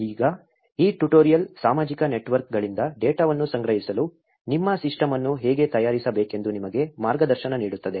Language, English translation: Kannada, Now, this tutorial will guide you to how to prepare your system for collecting the data from social networks